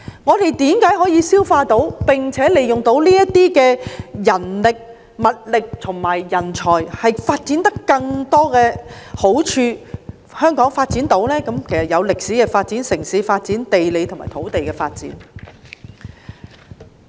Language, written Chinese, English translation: Cantonese, 我們為何可以吸納他們，並且善用這些人力、物力和人才，促進香港的發展，包括歷史、城市、地理及土地方面的發展？, From the 1980s to the 1990s the Mainland embarked on reform and opening up and another group of immigrants followed . Why could we absorb them and make good use of such manpower resources and talents to promote the development of Hong Kong including historical urban geographical and land development?